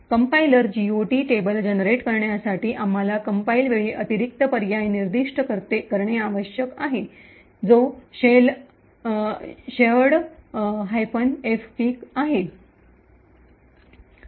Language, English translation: Marathi, Now, in order that the compiler generates a GOT table, we need to specify additional option at compile time which is minus shared minus fpic